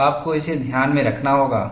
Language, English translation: Hindi, So, we have to keep this in mind